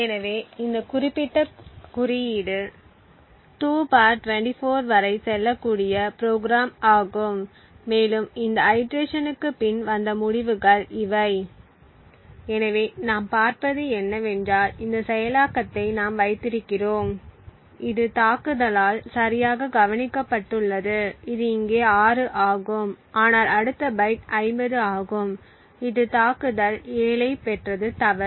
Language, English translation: Tamil, So this particular code is program to go up to 2 ^ 24 and these are the results after those iterations, so what we see is that we have this enable which has been predicted correctly by the attack this is 6 over here and what the attack also obtain is 6 however the next byte which is 50 the attack has obtained 7 which is wrong